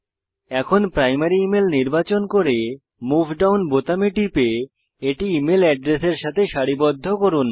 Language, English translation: Bengali, Now, select Primary Email, and click on the Move Down button until it is aligned to E mail Address